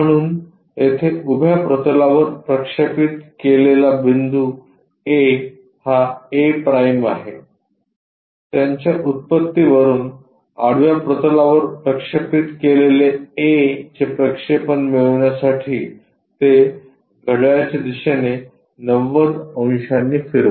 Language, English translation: Marathi, So, here the point A projected on to vertical plane is a’, projected onto horizontal plane from their origin rotate it by 90 degrees in the clockwise to get projection of a